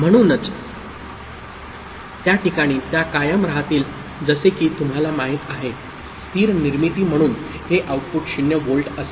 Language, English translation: Marathi, So, it will remain in that place like you know, as a stable formation right, this output will be 0 volt